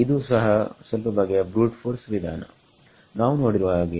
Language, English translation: Kannada, It is also a little bit of a brute force method as we will see